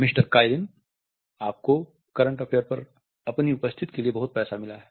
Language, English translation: Hindi, Mister Kaelin, you have got a lot of money for your appearance on current affair